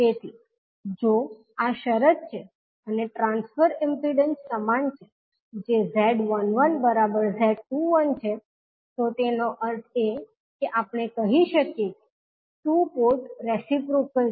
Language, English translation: Gujarati, So, if this is the condition and the transfer impedances are equal that is Z12 is equal to Z21, it means that we can say that two port is reciprocal